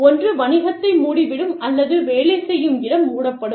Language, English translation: Tamil, Either, the business closes down, or, the work place closes down